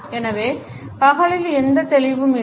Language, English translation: Tamil, So, that there is no fuzziness during the day